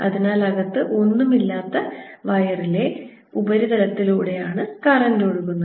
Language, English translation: Malayalam, so current is flowing on the surface, inside there is nothing